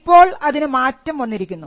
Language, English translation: Malayalam, Now this had to be changed